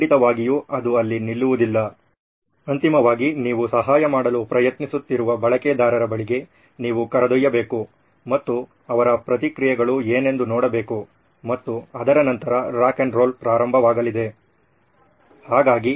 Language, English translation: Kannada, Of course it does not stop there, you need to take it to the users whom eventually you’re trying to help and see what their reactions are and let the rock ‘n’ roll begin after that